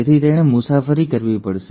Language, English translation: Gujarati, So, it has to travel